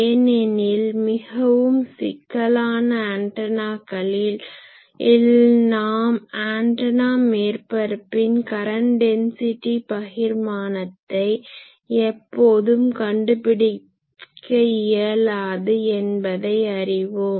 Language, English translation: Tamil, Because more complicated antennas there we cannot always find the J current density distribution on the antenna surface